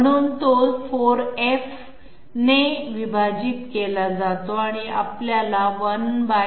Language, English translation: Marathi, So that is why we divided by 4F and we get equal to 1/200 = 0